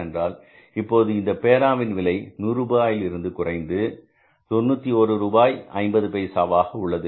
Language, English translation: Tamil, It means in that case now the cost of the pen will come down from the 100 rupees to $91 and 50 pesos